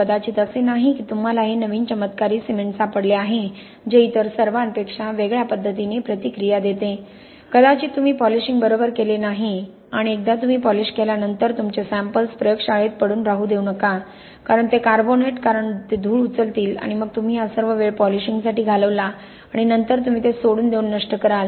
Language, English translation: Marathi, It is probably not that you have discovered this new miracle cement that reacts differently from everything else, it is probably you did not do the polishing right and once you have polished your samples do not leave them lying around in the lab because they will carbonate because they will pick up dust and then you spent all this time polishing and then you wreck it by leaving it around